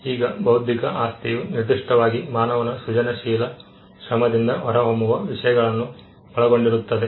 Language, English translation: Kannada, Now, intellectual property specifically refers to things that emanate from human creative labour